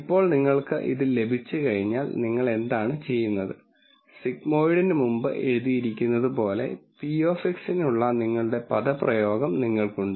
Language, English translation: Malayalam, Now once you have this then what you do is, you have your expression for p of X which is as written before the sigmoid